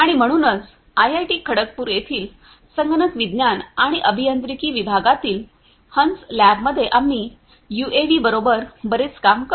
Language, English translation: Marathi, And so, in our lab the swan lab in the Department of Computer Science and Engineering at IIT Kharagpur, we work a lot with UAVs